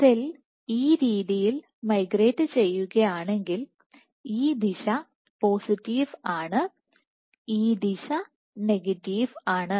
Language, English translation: Malayalam, So, if the cell is migrating this way then this direction is positive and this direction is negative